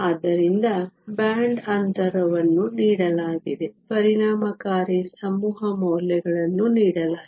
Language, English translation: Kannada, So, the band gap is given, the effective mass values are given